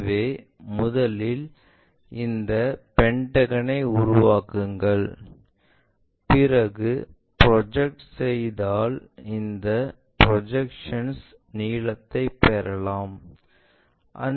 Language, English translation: Tamil, So, first construct this pentagon, after that project it get the projected length